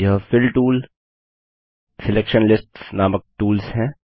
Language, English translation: Hindi, These tools are namely, Fill tool, Selection lists